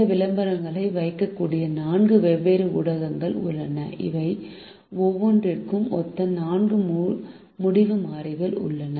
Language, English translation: Tamil, there are four different media in which this advertisements can be placed and there are four decision variables, one corresponding to each of these